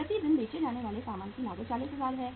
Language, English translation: Hindi, Cost of goods sold per day is 40000